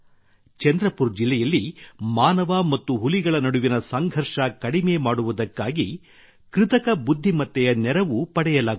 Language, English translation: Kannada, The help of Artificial Intelligence is being taken to reduce conflict between humans and tigers in Chandrapur district